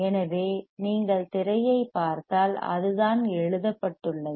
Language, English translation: Tamil, So, if you see the screen thatscreen that is what is written